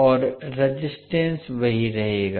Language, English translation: Hindi, And the resistance will remain the same